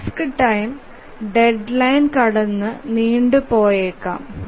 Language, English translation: Malayalam, So, the task time may extend beyond the deadline